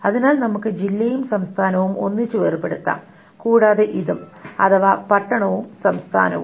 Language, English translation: Malayalam, So let us isolate district and state together and this is so town and state